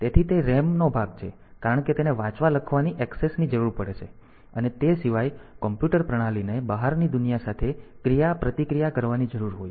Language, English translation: Gujarati, So, that is the RAM part because that will require read write access and apart from that since the system computer system needs to interact with the outside world